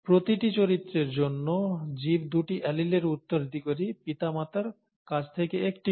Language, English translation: Bengali, For each character, the organism inherits two alleles, one from each parent